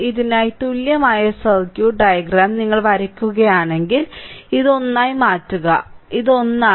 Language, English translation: Malayalam, If you draw the equivalent circuit diagram for this one, then I can make this is one, this is one right